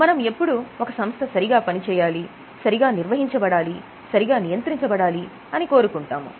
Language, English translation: Telugu, We want that company should be ruled properly, should be managed properly, should be operated properly